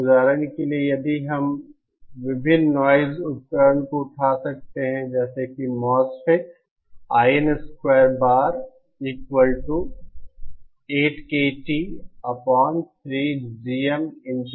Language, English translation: Hindi, So for example, if we, you can take up various noisy devices like say a MOSFET